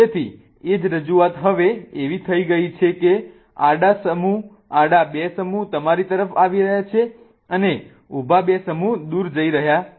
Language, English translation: Gujarati, So, the same representation now becomes such that horizontally two groups are coming towards you and vertically two groups are going away